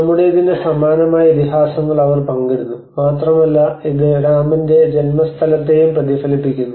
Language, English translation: Malayalam, So they share a similar epics of what we shared and it also reflects to the birthplace of Rama